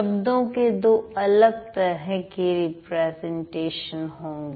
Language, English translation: Hindi, The words will have two different kinds of representation